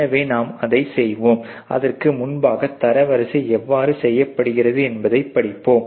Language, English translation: Tamil, So, we will we do that, but before try to that lets actually study how the ranking is done